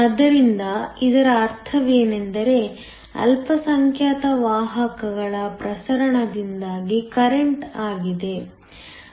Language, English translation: Kannada, So, what this means is that current is due to the diffusion of minority carriers